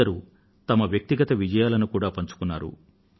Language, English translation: Telugu, Some people even shared their personal achievements